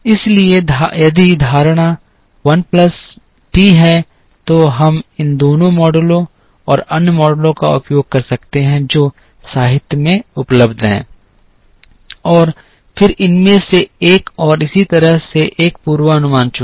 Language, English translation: Hindi, Similarly, if the assumption is l plus t, then we could use both these models and other models that are available in the literature and then chose one the forecast from one of these and so on